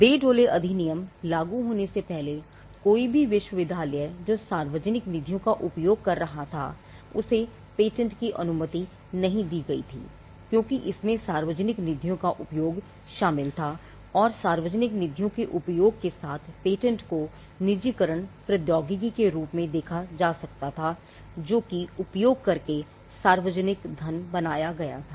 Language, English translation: Hindi, Now, before the Bayh Dole Act came into force any university which was using public funds was not allow to patent because, it involved use of public funds and, patenting with the use of public funds could be seen as privatizing technology which was created using public funds